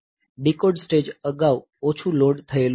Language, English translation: Gujarati, So, decode stage was previously less lightly loaded